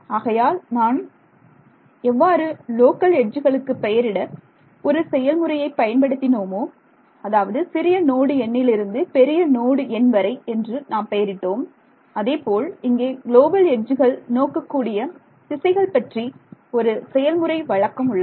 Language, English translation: Tamil, So, now, just as I had a convention for local edges, that let us say from smaller node number to larger node number, similarly I can have a convention for the direction in which a global edge should point